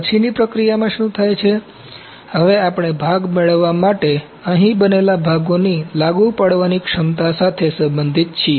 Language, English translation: Gujarati, In post processing what happens, now we are concerned with the applicability of the parts that is made here, to get a part ok